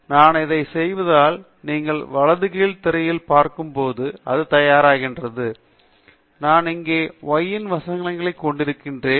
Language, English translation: Tamil, So, if I do this, then it produces as you see on the right bottom screen, I have here the y 1 verses x 1